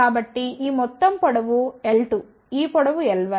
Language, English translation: Telugu, So, this total length is l 2 this length is l 1